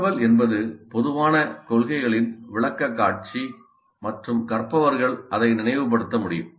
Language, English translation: Tamil, Information is presentation of the general principles and learners must be able to recall it